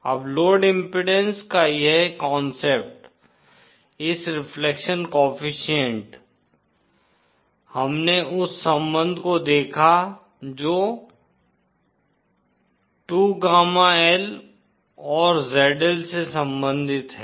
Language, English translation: Hindi, Now this concept of load impedance this reflection coefficient, we saw the relationship that relates the 2, gamma L and ZL